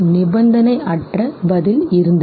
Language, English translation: Tamil, The unconditioned response was